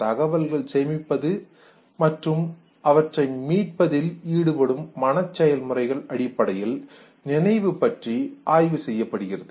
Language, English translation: Tamil, Now memory is basically studied in terms of mental processes that are involved in storing and retrieving information